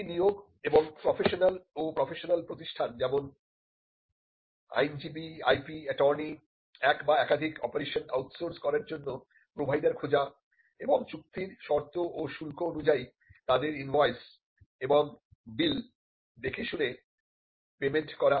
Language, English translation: Bengali, Hiring and appointing personal and contracting with professionals and professional institution such as, lawyers IP, attorneys, search providers to outsource one or more of these operations and paying and honoring their invoices and bill as per contracted terms and tariffs